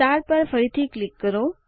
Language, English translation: Gujarati, Click on the star again